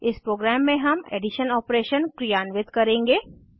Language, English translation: Hindi, In this program we will perform addition operation